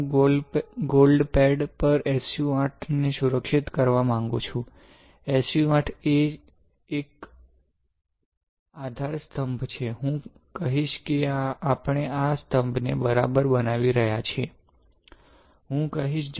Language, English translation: Gujarati, I want to protect SU 8 on the gold pad, SU 8 is a pillar alright; I will tell you why we are making these pillars ok, I will tell you